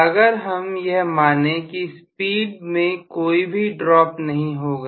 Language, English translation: Hindi, So if I assume that I do not have any drop in the speed at all